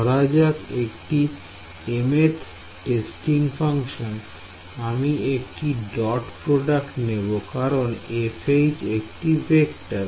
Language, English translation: Bengali, So, take some mth testing function, now I must take a dot product because this F H is actually a vector right